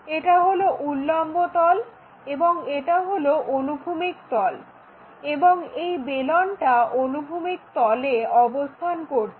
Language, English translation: Bengali, This is the vertical plane, this is the horizontal plane, and what we have is cylinder resting on horizontal plane